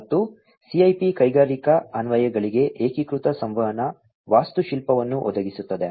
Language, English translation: Kannada, And, the CIP provides unified communication architecture for industrial applications